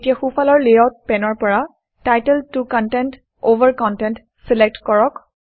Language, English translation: Assamese, Now, from the layout pane on the right hand side, select title 2 content over content